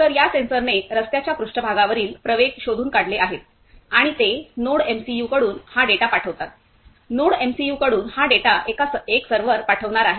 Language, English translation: Marathi, So, these sensor detects the accelerations about the road surface and it send this data from the NodeMCU, from the NodeMCU these data is going to send one server